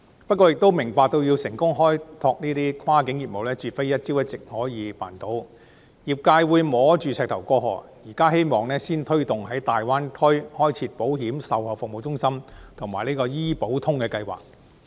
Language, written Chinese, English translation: Cantonese, 不過，業界亦明白開拓跨境業務絕非一朝一夕就可以辦到，業界會摸着石頭過河，現時希望先推動在大灣區開設保險售後服務中心及"醫保通"計劃。, However the sector also understands that we cannot finish exploring cross - boundary business in one day . The sector will cross the river by groping the stones . We hope to first set up insurance after - sale service centres and implement a Health Insurance Connect scheme in the Greater Bay Area